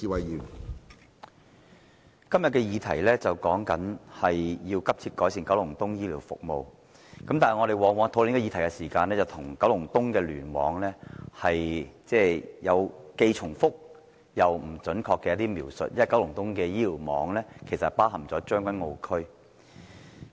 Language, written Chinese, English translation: Cantonese, 主席，今天的議題是"急切改善九龍東公營醫療服務"，但我們在討論這議題時，往往對九龍東聯網有既重複又不準確的描述，因為九龍東的醫院聯網也包括將軍澳區。, President the question today is Urgently improving public healthcare services in Kowloon East . In discussing this question however we often hear repeated but inaccurate descriptions of the Kowloon East Cluster KEC because Tseung Kwan O is covered by it as well